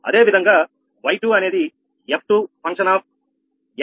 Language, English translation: Telugu, similarly, y two is equal to f two, x one, x two upto x n